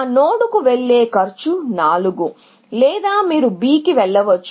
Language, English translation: Telugu, The cost of going to that node is 4, or you can go to B